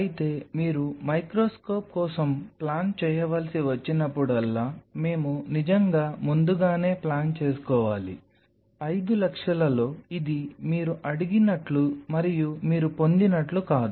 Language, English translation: Telugu, But whenever you have to plan for microscope, we have to really plan in advance, whether in 5 lakhs this is not something which is like you ask for it and you get it